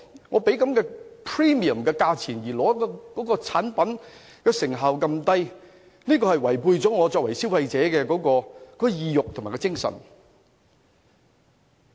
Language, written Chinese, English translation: Cantonese, 我付出 premium 的價錢但得到的產品成效如此低，這是違背了我作為消費者的意欲和精神。, It runs against the consumers desire and spirit to pay for a product with such a low quality but at a premium price